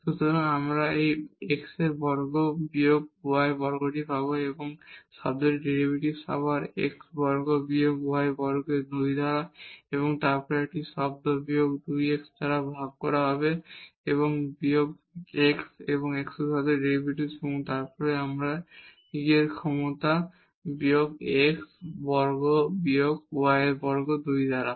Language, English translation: Bengali, So, we will get this x square minus y square and the derivative of this term again the same x square minus y square by 2 and then there will be a term minus 2 x divided by minus x plus the derivative of this with respect to x and then we have e power minus x square minus y square by 2 term